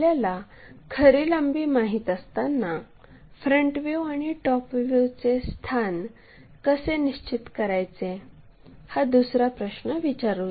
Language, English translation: Marathi, Let us ask another question, when true length is known how to locate front view and top view